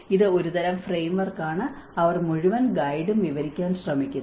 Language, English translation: Malayalam, This is a kind of framework which they try to describe the whole guide